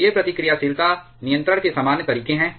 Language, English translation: Hindi, So, these are the common modes of the reactivity control